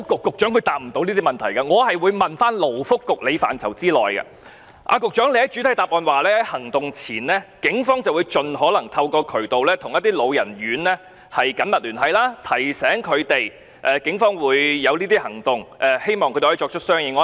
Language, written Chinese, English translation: Cantonese, 局長在主體答覆指出，警方在行動前會盡可能透過各種渠道與一些老人院舍緊密聯繫，提醒他們警方可能採取的行動，希望他們可以作出相應安排。, In the main reply the Secretary has pointed out that before operations the Police will as far as possible maintain close contact with certain elderly homes through various channels to remind them of Polices possible actions and hope that they can make arrangements accordingly